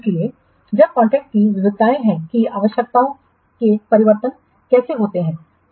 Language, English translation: Hindi, So, variations to the contract, that is how are changes to requirements dealt with